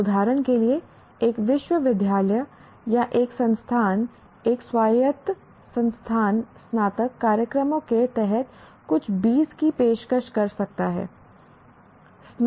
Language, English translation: Hindi, For example, a university or an institution, an autonomous institution may be offering some 20 undergraduate programs